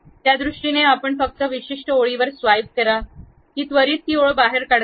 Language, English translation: Marathi, In that sense, you just swipe on particular line; it just immediately removes that line